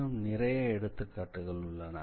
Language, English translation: Tamil, And do we have some other interesting examples